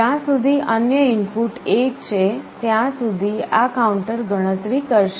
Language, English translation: Gujarati, As long as the other input is 1, this counter will go on counting